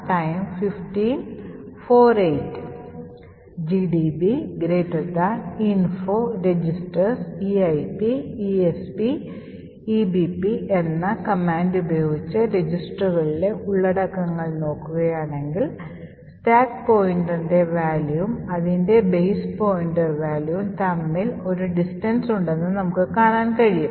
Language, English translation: Malayalam, So if I look at the contents of the registers info registers eip, esp and ebp, you see that there is a distance between the stack pointer and the corresponding base pointer